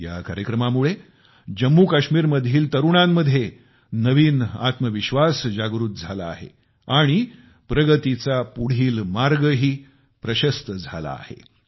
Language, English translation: Marathi, This program has given a new found confidence to the youth in Jammu and Kashmir, and shown them a way to forge ahead